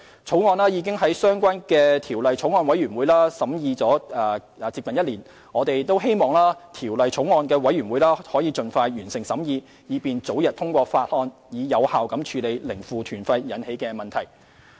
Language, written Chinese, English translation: Cantonese, 《條例草案》已在相關法案委員會審議近1年，我們希望法案委員會能盡快完成審議，以便早日通過《條例草案》，從而有效處理零負團費引起的問題。, The Bill has been under scrutiny by the relevant Bills Committee for nearly one year . We hope the scrutiny can be completed expeditiously for the early passage of the Bill so that problems caused by zero - negative - fare tours can be addressed effectively